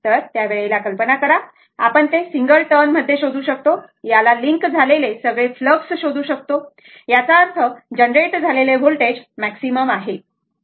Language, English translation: Marathi, At that time, this if you if you imagine, you will find it is a single turn, you will find all the flux will link to this; that means, voltage generated will be maximum, right